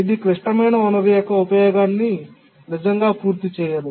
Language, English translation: Telugu, It cannot really complete its uses of the critical resource